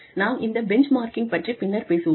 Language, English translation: Tamil, We will talk about, benchmarking, a little later